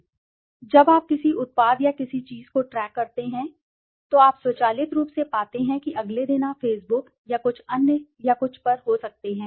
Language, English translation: Hindi, When you track a product or something, you have been automatically you find that next day you are giving suggestions on the may be on the Facebook or some other or something